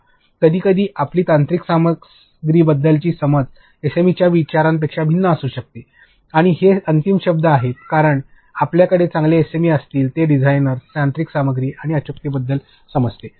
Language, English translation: Marathi, Because, sometimes our understanding of the technical content may vary from what the SME things and they are the final word because, we only understand design, technical stuff, accuracy your SME will tell you